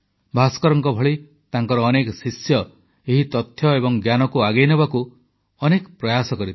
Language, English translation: Odia, His disciples like Bhaskara, strived hard to further this spirit of inquiry and knowledge